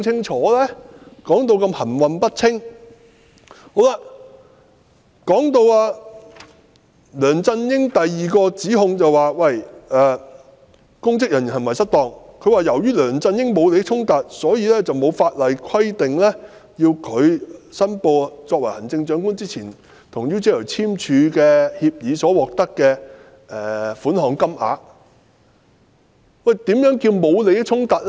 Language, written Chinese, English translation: Cantonese, 在提到第二項針對梁振英的指控，即"公職人員行為失當"時，律政司說："由於梁振英沒有利益衝突，因此沒有法律規定需要申報他在成為行政長官之前，與 UGL 簽訂協議而會獲得款項的金額"。, In mentioning the second allegation against LEUNG Chun - ying that is misconduct in public office DoJ said since there is no conflict of interest on the part of Mr LEUNG there was no legal requirement for him to make declaration of the amount that he was to receive under the agreement with UGL entered into before he became the Chief Executive